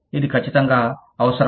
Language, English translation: Telugu, It is absolutely essential